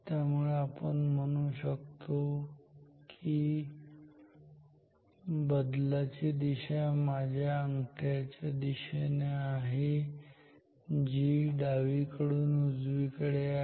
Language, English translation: Marathi, So, we can say that the direction of the force is along my thumb which is from left to right